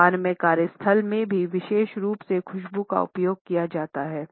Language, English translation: Hindi, In Japan particularly fragrance is used in the workplace also